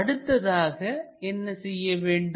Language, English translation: Tamil, Further what we have to do is